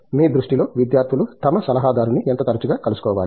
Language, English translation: Telugu, In your view, you know, how often should students be meeting their guide adviser